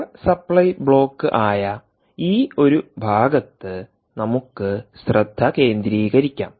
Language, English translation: Malayalam, so lets concentrate on this one portion, which is the power supply block